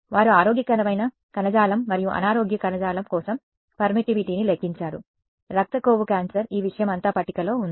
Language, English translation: Telugu, They have calculated permittivity for healthy tissue unhealthy tissue blood fat cancer all of this thing is tabulated